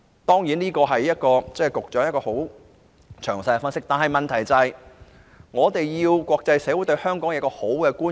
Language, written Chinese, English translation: Cantonese, 局長的分析十分詳細，但最重要的是，我們能令國際社會對香港有良好觀感。, The Secretarys analysis is very detailed but most importantly we can give the international community a good perception of Hong Kong